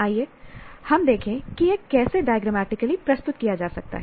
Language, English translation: Hindi, Let us look at how this can be in a simple way diagrammatically represented